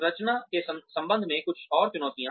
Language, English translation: Hindi, Some more challenges, regarding the structure